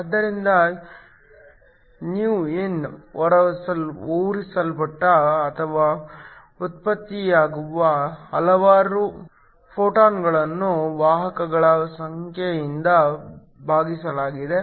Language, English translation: Kannada, So, ηin, is a number of photons emitted or generated internally divided by the number of carriers